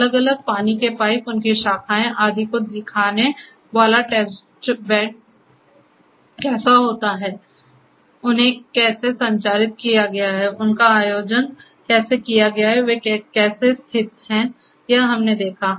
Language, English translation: Hindi, How the test bed showing the different water pipes, their branches and so on; how they have been structured; how they have been organized; how they have been located so we have seen that